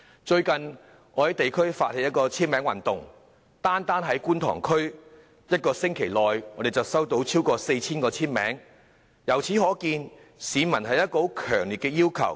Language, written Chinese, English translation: Cantonese, 最近，我在地區發起簽名運動，單單在觀塘區便在1星期內收集到超過 4,000 個簽名，由此可見市民對此有強烈的訴求。, I have recently organized a signature campaign in the districts and in Kwun Tong alone more than 4 000 signatures were collected in one week . This can show the strong demand of people in this regard